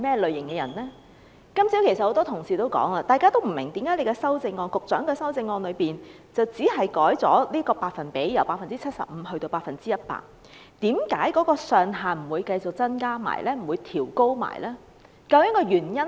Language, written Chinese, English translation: Cantonese, 正如今天早上多位議員亦提到，他們不明白為何局長的修正案只是將百分率由 75% 修訂為 100%， 但同時卻沒有增加或調高款額上限。, As mentioned by various Members this morning they do not understand why the Secretarys amendment merely proposes to revise the percentage from 75 % to 100 % without any increase or upward adjustment of the maximum amount at the same time